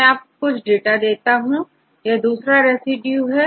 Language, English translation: Hindi, I will show some more data, this is the other residues